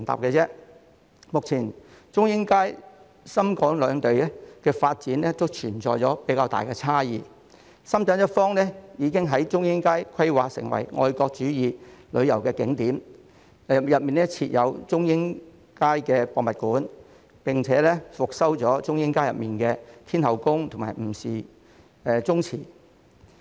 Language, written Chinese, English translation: Cantonese, 目前中英街深港兩地發展都存在較大差異，深圳一方已將中英街規劃為愛國主義旅遊景點，當中設有中英街博物館，並已復修中英街內的天后宮和吳氏宗祠。, Currently the authorities of Shenzhen and Hong Kong have adopted quite different approaches in developing Chung Ying Street . The Shenzhen authorities have designated Chung Ying Street as a patriotic tourist spot and established the Zhongying Street Historical Museum